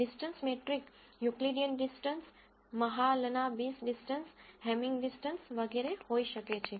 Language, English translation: Gujarati, The distance metric could be Euclidean distance, Mahalanabis distance, Hamming distance and so on